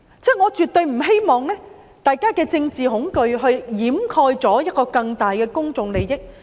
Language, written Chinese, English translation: Cantonese, 我絕對不希望大家讓政治恐懼掩蓋一個更大的公眾利益。, Absolutely I do not want the greater public interest be overwhelmed by political fear